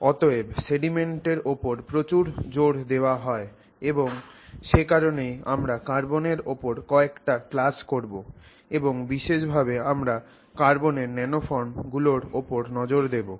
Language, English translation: Bengali, So, therefore, there's a lot of emphasis on this element, and that is why we will spend a few classes looking at the element carbon and in particular we will focus on the nano forms of carbon